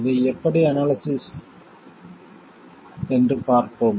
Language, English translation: Tamil, Let's see how to analyze this